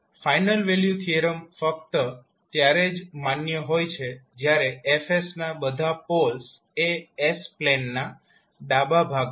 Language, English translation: Gujarati, The final value theorem will be valid only when all polls of F s are located in the left half of s plane